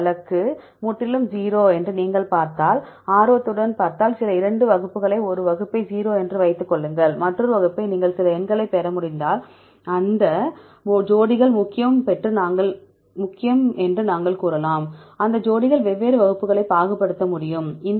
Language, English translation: Tamil, If you see interestly if you see other case is totally 0, keep some 2 classes one class it is 0, another class if you can get some numbers then we can say that that pairs are important that pairs can be able to discriminate different classes